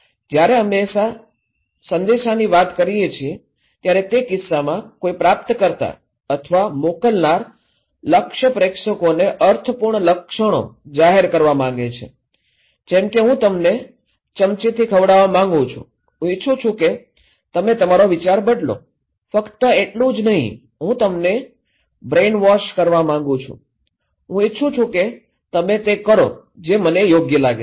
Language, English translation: Gujarati, When we say message okay, in that case, a receiver or the informer they intend to expose the target audience that is a receiver to a system of meaningful symptoms like I want you to spoon feed, I want you to change your mind okay, is simply that I want to brainwash you, I want you to do what I think okay